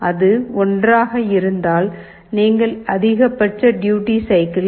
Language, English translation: Tamil, If it is 1, then you are using the maximum duty cycle of 1